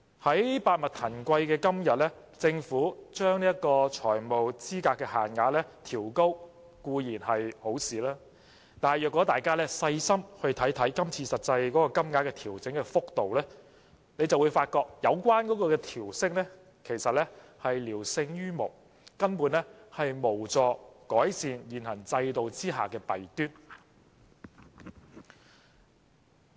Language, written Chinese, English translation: Cantonese, 在百物騰貴的今天，政府將財務資格限額調高固然是好事，但大家若細心看看今次實際金額的調整幅度，便會發覺有關調升其實只是聊勝於無，根本無助改善現行制度的弊端。, Today amidst the spike in prices of all goods the Governments upward adjustment of FEL is certainly a good measure . However if we look carefully at the adjustment rate of the actual amount this time around we will find that the relevant upward adjustment is in fact just better than nothing . Basically it will not facilitate the improvement of the shortcomings of the existing system